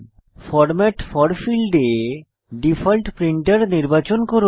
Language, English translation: Bengali, Select your default printer in the Format for field